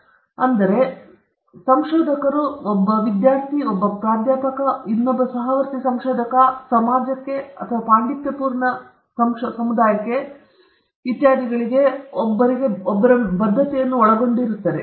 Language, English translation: Kannada, This involves oneÕs commitment to other researchers, oneÕs students, oneÕs professors, oneÕs fellow researchers, to the society, to the scholarly community, etcetera